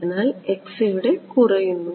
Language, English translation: Malayalam, So, x is decreasing over here right